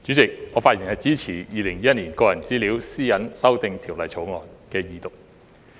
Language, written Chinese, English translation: Cantonese, 代理主席，我發言支持《2021年個人資料條例草案》的二讀。, Deputy President I speak in support of the Second Reading of the Personal Data Privacy Amendment Bill 2021 the Bill